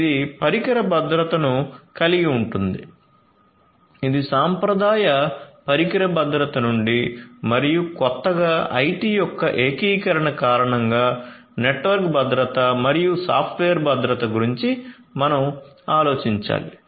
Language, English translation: Telugu, So, we will have the device security this is from the traditional device security, traditional and newly due to the integration of IT we have the concerns about network security and software security